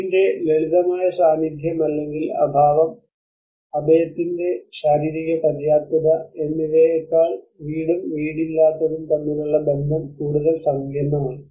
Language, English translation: Malayalam, The relationship between home and homelessness is more complex than the simple presence or absence of home and the physical adequacy of the shelter